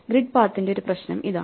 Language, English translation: Malayalam, So, here is a problem of grid paths